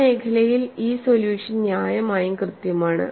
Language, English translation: Malayalam, In that zone, this solution is reasonably accurate